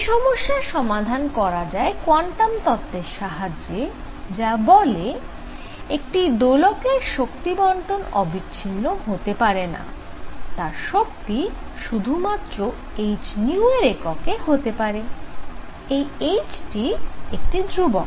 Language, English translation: Bengali, So, this is resolved by quantum hypothesis, it says that an oscillator cannot have continuous distribution of energy, but can take energy in units of h nu; h is some constant